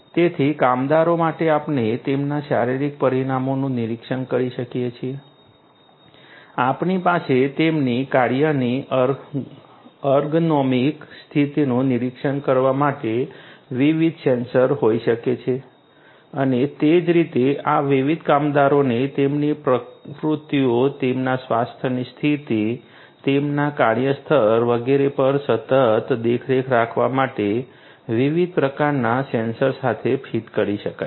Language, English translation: Gujarati, So, for workers we can monitor their physiological parameters, we could have different sensors to monitor their ergonomic conditions of work and likewise these different workers could be fitted with diverse types of sensors for continuously monitoring their activities, their health status, their workplace and so on